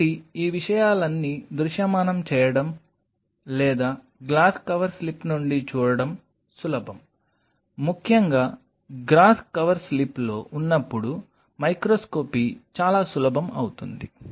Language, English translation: Telugu, So, all these things are easy to visualize or see from a glass cover slip especially microscopy becomes much easier when it is on a grass cover slip ok